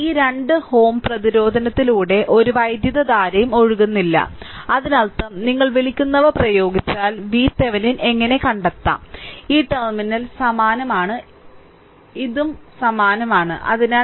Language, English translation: Malayalam, So, no current no current is flowing through this 2 ohm resistance; that means, that means, if you apply your what you call how to find out V Thevenin; that means, this terminal is same; this and this is same right